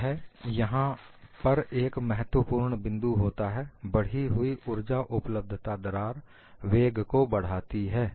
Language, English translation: Hindi, One of the key issues here is, increased energy availability leads to increase in crack velocity